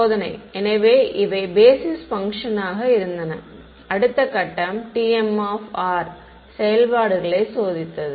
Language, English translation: Tamil, Testing right; so, I had so these were basis functions and the next step was testing functions t m of r